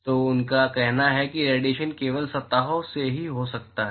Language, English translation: Hindi, So, he says that radiation can occurs only from surfaces